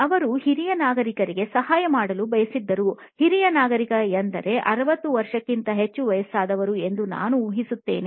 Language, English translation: Kannada, They wanted to help senior citizen, a senior citizen meaning more than I guess 60 years of age